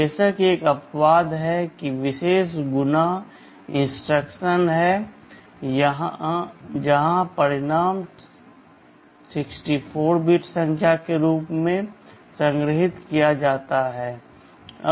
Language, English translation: Hindi, There is of course one exception; there is a special multiply instruction where the result is stored as a 64 bit number